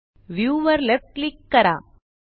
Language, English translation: Marathi, Again, Left click view